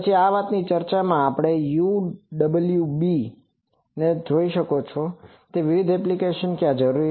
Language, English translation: Gujarati, Then these are in communication this UWB you can see that these various applications, where these are required